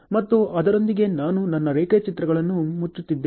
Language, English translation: Kannada, And with that, I am closing my diagrams ok